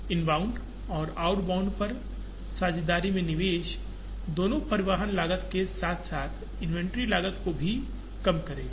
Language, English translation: Hindi, Invest in partnerships on the inbound and outbound would also reduce both transportation cost as well as inventory cost